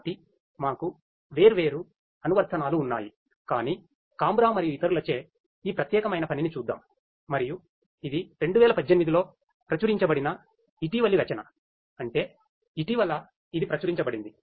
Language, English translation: Telugu, So, we have different applications, but let us look at this particular work by Cambra et al and it is a very recent work published in 2018; that means, very recently it has been published